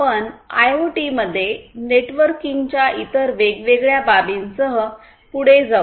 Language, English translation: Marathi, We will continue with the different other aspects of networking in IoT